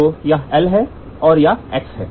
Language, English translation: Hindi, So, this is L and this is x